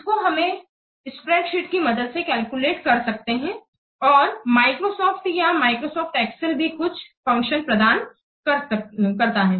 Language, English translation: Hindi, It can be calculated using a spreadsheet and also Microsoft Excel, it provides some functions